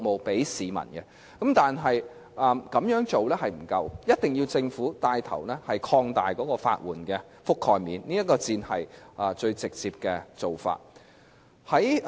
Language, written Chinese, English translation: Cantonese, 但是，這樣做並不足夠，一定要由政府牽頭擴大法援的覆蓋面，這才是最直接的做法。, However this is still far from adequate and the Government must take the lead to expand the coverage of legal aid and only this is the most direct approach . The legal aid system has long been plagued by several problems